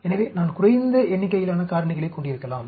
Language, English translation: Tamil, So, either I can have less number of factors